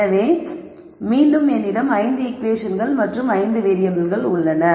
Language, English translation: Tamil, So, that will be a total of 5 equations and 5 variables